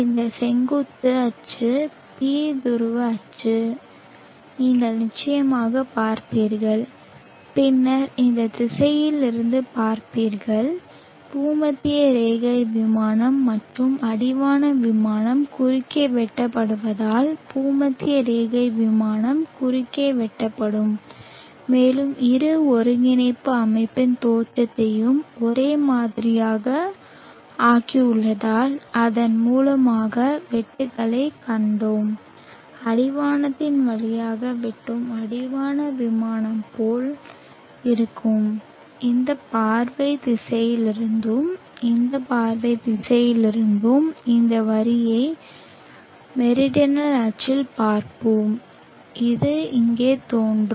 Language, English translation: Tamil, You will see of course this vertical axis t the polar axis like this and then viewing from this direction the equatorial plane will cut across as the equatorial plane and the horizon plane cuts across and we saw that cuts across through the origin because we have made the origins of the two coordinate system the same and the horizon plane cutting through the horizon will look like this from this view direction